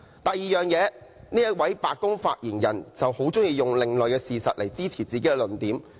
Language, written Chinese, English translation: Cantonese, 第二，這位白宮發言人很喜歡用另類事實來支持自己的論點。, Second this White House Press Secretary is fond of substantiating his own arguments with alternative facts